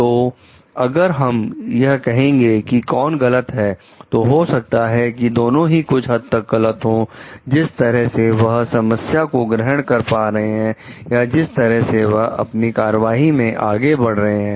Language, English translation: Hindi, So, if we tell like who is wrong maybe both of them are wrong to some extent in the way that they have perceived the problem or the way that they have executed their action